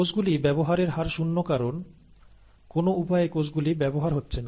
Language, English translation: Bengali, The rate of consumption of cells is also zero because the cells are not getting consumed by some means